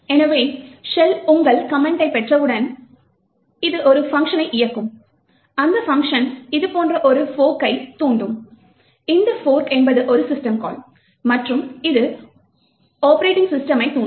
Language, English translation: Tamil, So, when the shell receives your command, it would run a function which looks something like this, the function would invoke a fork, which is a system call and it invokes the operating system